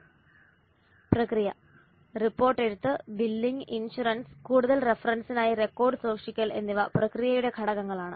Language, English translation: Malayalam, A process, the report writing, billing, insurance and record keeping are the processes for further reference are elements of the process